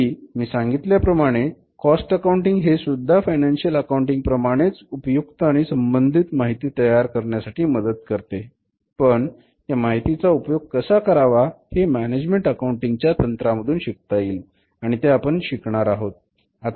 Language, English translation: Marathi, Cost accounting, second thing guys told you same thing like financial accounting cost accounting also generates very useful and relevant information but how to make use of that information for the management decision making that is also known by or can be learnt with the help of the techniques of management accounting which we will discuss here